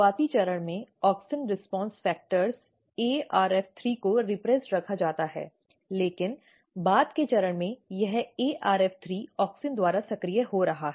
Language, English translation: Hindi, At early stage this important Auxin response factor which is ARF3, which is kept repressed, but at the later stage this ARF3 is getting activated by Auxin